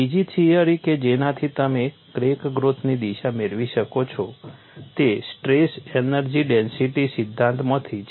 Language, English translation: Gujarati, The other theory which you could get crack growth direction is from strain energy density theory